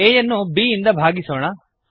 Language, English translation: Kannada, We divide a by b